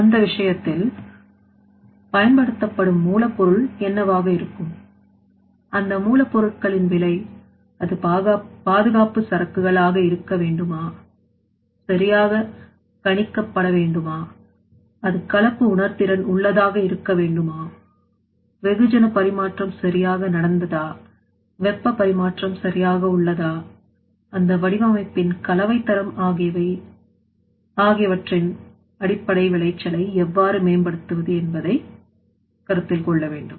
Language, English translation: Tamil, So in that case what will be the raw material to be used what will be the cost of that raw materials that also to be considered whether it should be safety inventory or not and also whether it should be mixing sensitive or not whether it should be properly blending or not whether mass transfer has happened properly or not, whether hart transfer has happened properly or not how can you improve the yield based that based on the mixing quality and also you know that capacity of that design that also to be considered there